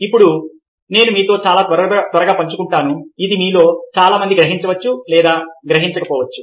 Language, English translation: Telugu, now let me share with you very quickly, ah, something, ah, ah, which, ah, many of you may or may not realize